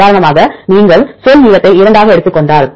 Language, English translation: Tamil, For example, if you take into word length of 2